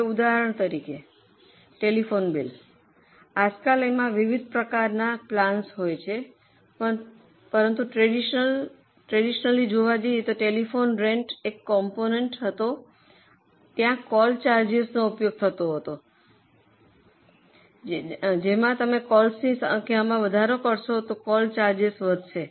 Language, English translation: Gujarati, Nowadays of course there are different types of plans but traditionally telephone bill used to have a component of rent and there will be call charges